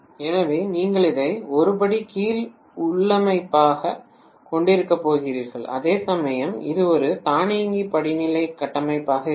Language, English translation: Tamil, So you are essentially going to have this as a step down configuration, whereas very clearly this will be an automatic step up configuration